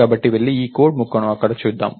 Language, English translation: Telugu, So, lets go and look at this piece of code here